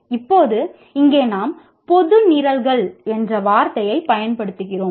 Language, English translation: Tamil, Now here we are using the word general programs